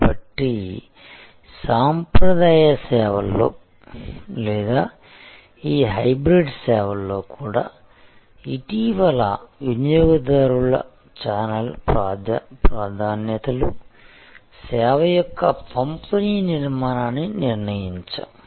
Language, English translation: Telugu, So, in the traditional services or even in these hybrid services still recently channel preferences of customers determined the distribution architecture of the service